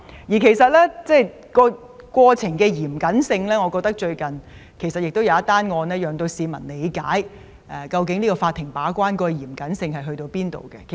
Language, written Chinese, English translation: Cantonese, 談到審理過程的嚴謹性，我認為最近一宗案件能協助市民理解，法庭把關的嚴謹性。, Speaking of the stringent trial process I believe that a recent case can help the public understand that the court stringently perform its gatekeepers role